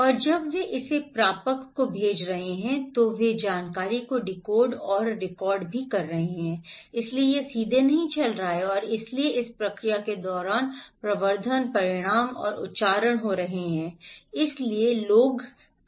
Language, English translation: Hindi, And when they are sending it to the receiver, they are also decoding and recoding the informations, So, it’s not directly going and so during this process, amplifications, magnifications and accentuations are happening, okay